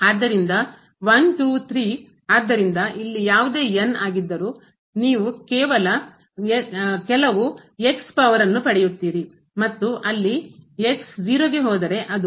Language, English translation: Kannada, So, so, here whatever is you will get some power something there and goes to it will become